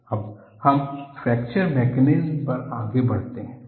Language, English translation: Hindi, Now, we move on to fracture mechanisms